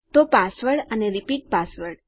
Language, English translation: Gujarati, So pasword and repeat password